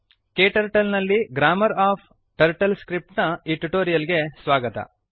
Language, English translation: Kannada, Welcome to this tutorial on Grammar of TurtleScript in KTurtle